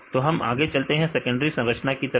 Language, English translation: Hindi, So, then we moved on to the secondary structures